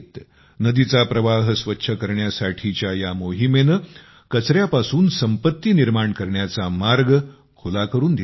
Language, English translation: Marathi, This campaign of cleaning the river has also made an opportunity for wealth creation from waste